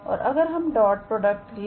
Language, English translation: Hindi, And here, we can take the dot product